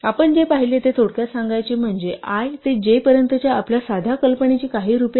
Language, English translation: Marathi, To summarize what we have seen is that our simple notion of range from i to j has some variants